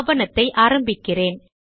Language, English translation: Tamil, Let me begin the document